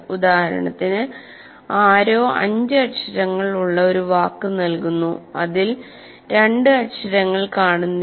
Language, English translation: Malayalam, For example, somebody gives you a word, a five letter word, in which two letters are missing